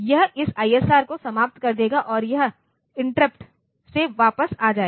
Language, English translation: Hindi, It will finish up this ISR and this return I return from interrupt